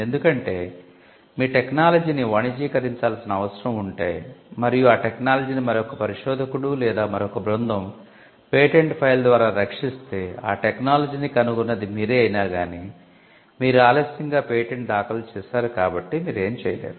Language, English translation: Telugu, Because, if your technology needs to be commercialized and that technology was protected by a patent file by another researcher or another team though the patent could have been filed much after you invent that the technology; still when the patent is granted, the patent holder can stop the person who developed the invention in the first case